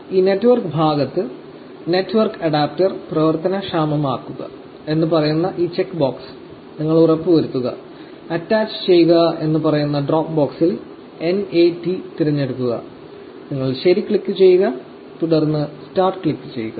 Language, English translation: Malayalam, At this network part you just make sure that this check box saying enable network adapter is ticked and you select NAT amongst the drop box which says attach to, you click ok and then you click start